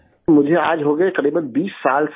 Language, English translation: Urdu, It has been almost 20 years sir